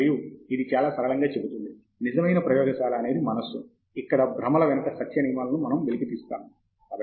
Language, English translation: Telugu, And it simply says, “The true laboratory is the mind, where behind illusions we uncover the laws of truth”